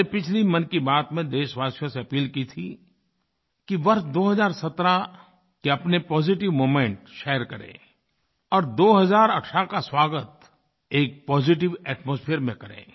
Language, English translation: Hindi, During the previous episode of Mann Ki Baat, I had appealed to the countrymen to share their positive moments of 2017 and to welcome 2018 in a positive atmosphere